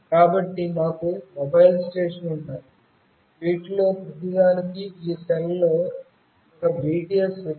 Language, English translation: Telugu, So, we have mobile stations, each of these has got one BTS in this cell